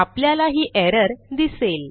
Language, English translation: Marathi, we see that there is an error